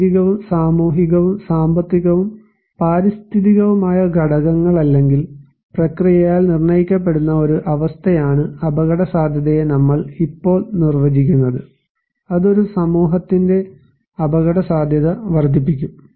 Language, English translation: Malayalam, Now, we define vulnerability as the condition, that determined by physical, social, economic and environmental factors or process which increase the susceptibility of a community to the impact of hazard